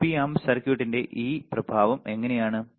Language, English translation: Malayalam, How this effect of the Op amp circuit